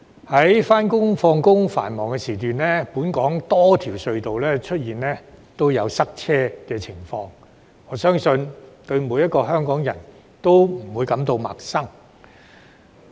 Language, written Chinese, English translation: Cantonese, 在上下班的繁忙時段，本港多條隧道都出現塞車情況，我相信每個香港人對此不會陌生。, During the morning and evening peak commuting hours there will be traffic congestion at our various tunnels . I believe this is something all too familiar to every Hong Kong people